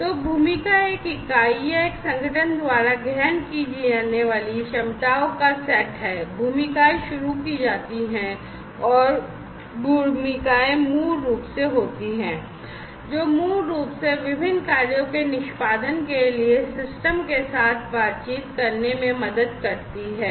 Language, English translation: Hindi, So, the role is the set of capacities that are assumed by an entity or an organization, the roles are initiated, and roles are basically the ones, which basically help in interacting with the system for the execution of the different tasks